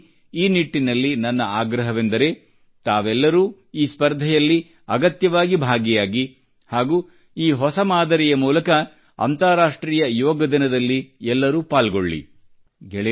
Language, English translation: Kannada, I request all of you too participate in this competition, and through this novel way, be a part of the International Yoga Day also